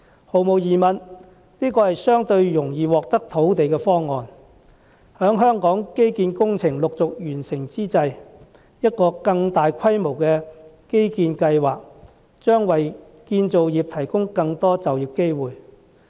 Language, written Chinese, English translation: Cantonese, 毫無疑問，這是個相對容易獲得土地的方案，在香港基建工程陸續完成之際，一個更大規模的基建計劃，將為建造業提供更多就業機會。, Without a doubt this proposal is a relatively easy way to obtain land . With the completion of infrastructure works in Hong Kong one after another an even larger infrastructure project is going to provide more job opportunities in the construction industry